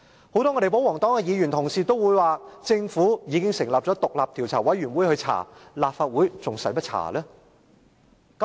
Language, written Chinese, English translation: Cantonese, 很多保皇黨議員也說政府已成立獨立調查委員會調查，立法會何須再調查？, Many royalist Members query why the Legislative Council should conduct a separate investigation when the Government has already set up an independent commission of inquiry to conduct an investigation